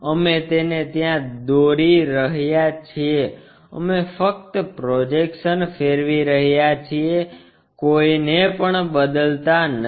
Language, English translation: Gujarati, We are going to make it there we are just rotating not changing any projections